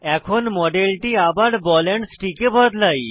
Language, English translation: Bengali, Let us now convert it back to ball and stick model